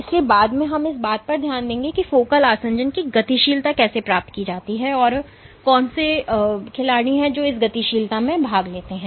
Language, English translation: Hindi, So, later in the course we will touch upon what are the how dynamics of focal adhesion is achieved and what are the players which participate in this dynamics